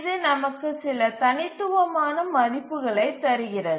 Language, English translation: Tamil, And that gives us some discrete values